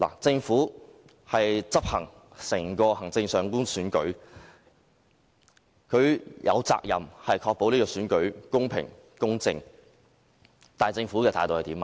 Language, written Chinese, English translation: Cantonese, 政府負責執行整個行政長官選舉，有責任確保選舉公平、公正，但政府的態度是怎樣？, As the Government is responsible for holding the Chief Executive election it is duty - bound to ensure the fairness and equity of the election . But what is the Governments attitude?